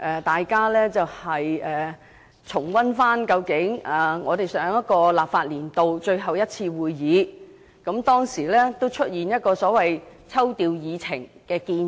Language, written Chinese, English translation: Cantonese, 大家重溫一下，在上個立法年度最後一次會議上，我提出調動議程的建議。, Let us recap my proposal to rearrange the order of agenda items at the last meeting of the last legislative session